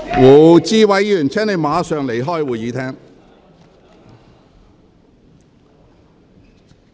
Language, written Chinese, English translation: Cantonese, 胡志偉議員，請你立即離開會議廳。, Mr WU Chi - wai please leave the Chamber immediately